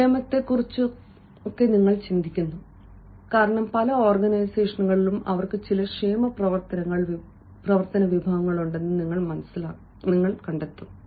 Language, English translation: Malayalam, somebody who also thinks about the welfare, because in many organizations you will find ah that they have a certain welfare actions